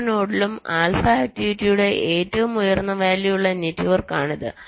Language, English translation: Malayalam, so that is the network where every node has the highest values of alpha activity, right